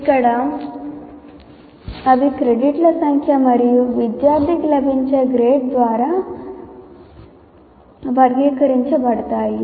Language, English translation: Telugu, Here they are characterized by the number of credits and the grade that a student gets